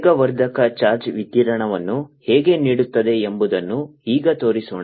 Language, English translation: Kannada, and accelerating charge would give out radiation